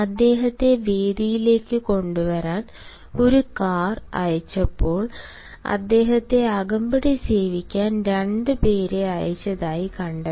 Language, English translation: Malayalam, while a curve was send to him to bring him to the venue, it was found that two people were also sent to escort him